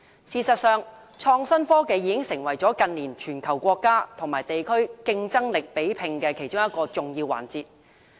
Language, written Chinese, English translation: Cantonese, 事實上，創新科技已成為近年全球國家和地區競爭力比拼的其中一個重要環節。, As a matter of fact in recent years innovation and technology has already become an important element in comparing the competitiveness of countries and regions in the world